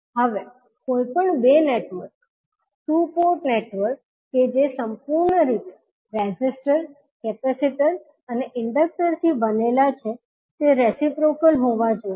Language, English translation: Gujarati, Now any two network, two port network that is made entirely of resistors, capacitors and inductor must be reciprocal